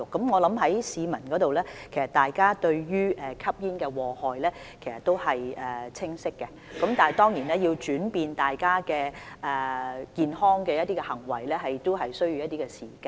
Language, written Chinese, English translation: Cantonese, 我認為市民對於吸煙的禍害有清晰了解，但是，要改變吸煙人士的行為當然需要一些時間。, I consider that people have a clear understanding of the hazards of smoking but it certainly takes some time to change the behaviour of smokers